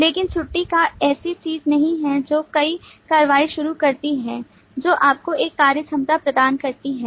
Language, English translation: Hindi, But leave is not something that initiates an action which provides you a functionality